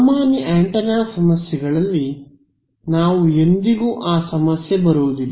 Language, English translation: Kannada, In usual antenna problems all we never run into that issue